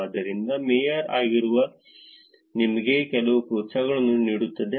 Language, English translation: Kannada, So, being a mayor is actually giving you some incentives